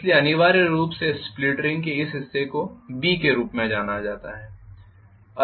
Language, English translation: Hindi, So I am going to have essentially this portion of split ring is known as B